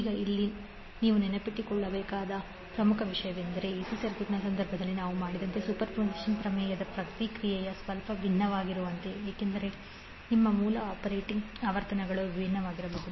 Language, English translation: Kannada, Now, here the important thing which you have to keep in mind is that the processing of the superposition theorem is little bit different as we did in case of AC circuit because your source operating frequencies can be different